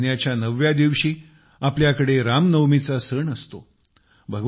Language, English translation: Marathi, On the ninth day of the month of Chaitra, we have the festival of Ram Navami